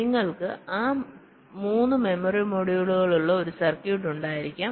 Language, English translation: Malayalam, so you can have a circuit with three memory modules